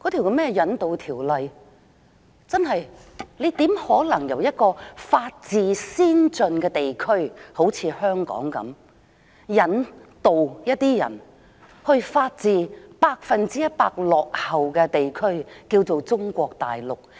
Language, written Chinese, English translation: Cantonese, 修訂《逃犯條例》，怎可能把人由一個法治先進的地區——例如香港——引渡到法治百分之一百落後的地區，即是中國大陸？, With regard to the amendment exercise of FOO how can we surrender a person from an advanced region with the rule of law―such as Hong Kong―to a region which is one hundred per cent backward in the rule of law that is the Mainland China?